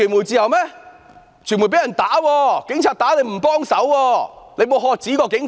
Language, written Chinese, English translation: Cantonese, 有傳媒被警察打，特首沒有喝止過警方。, Media workers were beaten by the Police . The Chief Executive did not demand that the Police stop